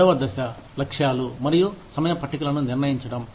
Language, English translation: Telugu, Step two is, setting goals and timetables